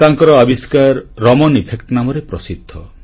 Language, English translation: Odia, One of his discoveries is famous as the Raman Effect